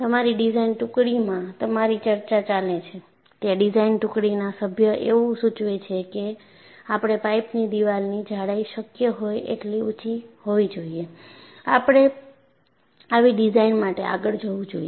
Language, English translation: Gujarati, And you have a discussion in your design team and the design team member suggests, we should go for as high a wall thickness of the pipe should be possible, we should go for such a design